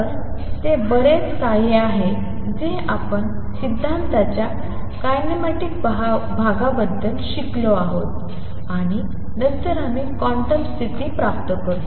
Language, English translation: Marathi, So, that much is something that we have learned about the kinematic part of the theory, and then we obtain the quantum condition